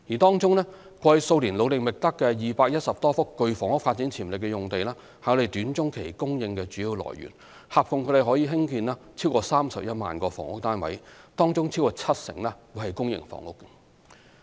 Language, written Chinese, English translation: Cantonese, 過去數年努力覓得的210多幅具房屋發展潛力用地是短中期供應的主要來源，合共可興建逾31萬個房屋單位，當中超過七成為公營房屋。, The some 210 sites with housing development potential identified with strenuous effort over the past few years are the major source of supply in the short - to - medium term capable of producing more than 310 000 housing units in total over 70 % of which are public housing